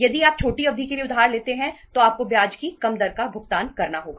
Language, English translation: Hindi, If you borrow for the short period you have to pay the lesser rate of the interest